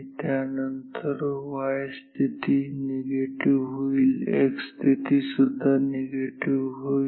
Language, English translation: Marathi, After, that the y position becomes negative x position also becomes negative